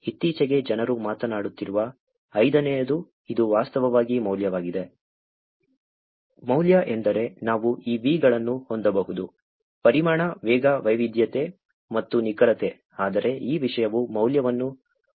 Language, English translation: Kannada, The fifth which is more recently people have been talking about, it is actually Value; value means we can have these V’s; volume, velocity, variety and veracity, but if is this content is not having value then it does not make any sense